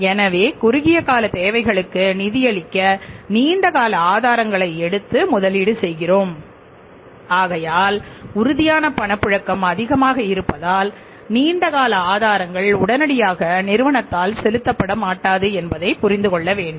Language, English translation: Tamil, So, it means when you are investing the long term sources to fund the short term requirements so firms liquidity is more because long term sources will not become due to be paid immediately right by the firm